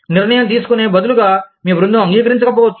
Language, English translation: Telugu, Instead of taking a decision, that your team may not, agree with